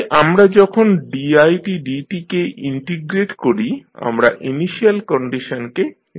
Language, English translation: Bengali, So, when we integrate the i dot we specify the initial condition